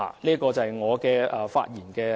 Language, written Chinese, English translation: Cantonese, 這是我的發言內容。, These are the contents of my speech